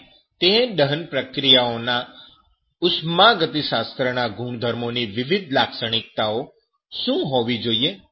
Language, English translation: Gujarati, And what should be the different characteristics of the thermodynamic properties on that, combustion reactions